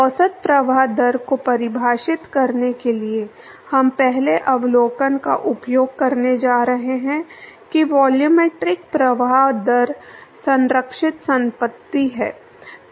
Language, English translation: Hindi, In order to define the average flow rate, we are going to use the first observation that the volumetric flow rate is the conserved property